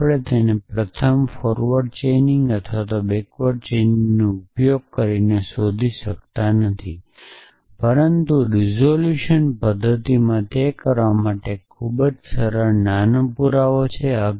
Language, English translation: Gujarati, But we cannot derive it using first forward chaining or back ward chaining, but in resolution method there is a very simple small proof for doing that